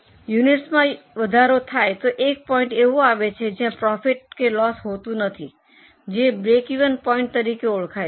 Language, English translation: Gujarati, As our units increase, a point comes where there is neither profit nor loss that is known as break even point